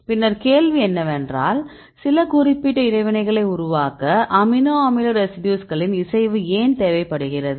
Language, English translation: Tamil, Then the question is there are some specific interactions are there any preference of amino acid residues to form these type of interactions right